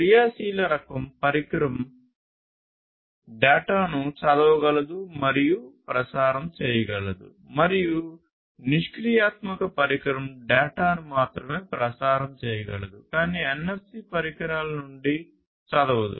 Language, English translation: Telugu, An active device, active type of device can both read and transmit data, and a passive device can only transmit data, but cannot read from the NFC devices